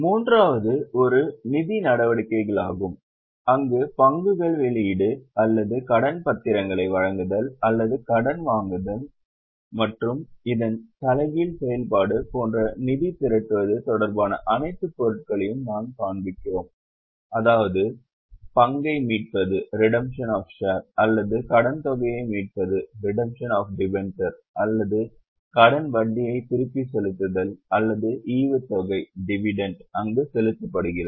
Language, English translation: Tamil, Third one is financing activities where we show all those items related to raising of funds by the business like issue of shares or issue of dementia or taking loan and the reverse of this, that is redemption of share or redemption of dementia or repayment of loan, interest or dividend paid thereon